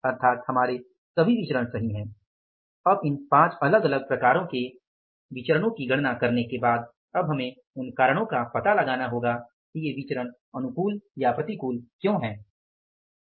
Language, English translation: Hindi, Now after calculating these different variances all five variances we have to find out the reasons that why these variances are maybe favorable or unfavorable